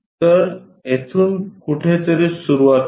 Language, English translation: Marathi, So, somewhere begin here